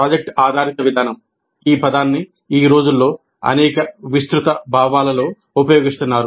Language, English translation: Telugu, The project based approach, this term is being used in several broad senses these days